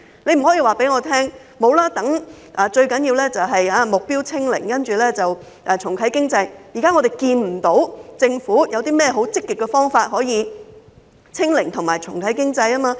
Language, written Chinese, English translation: Cantonese, 政府不可以說，最重要是目標"清零"，重啟經濟，我們現時看不到政府有甚麼積極方法可以"清零"及重啟經濟。, The Government cannot pay lip service saying that its top priority is to achieve zero infection and relaunch the economy . So far we see no concrete action taken by the Government to achieve zero infection and relaunch the economy